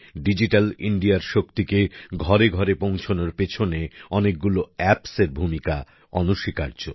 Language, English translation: Bengali, Different apps play a big role in taking the power of Digital India to every home